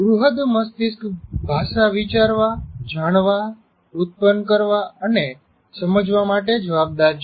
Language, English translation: Gujarati, And cerebram is responsible for thinking, perceiving, producing and understanding language